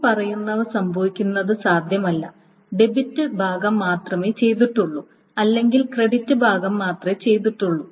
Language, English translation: Malayalam, Now it cannot happen that only the debit part has gone through or only the credit part has gone through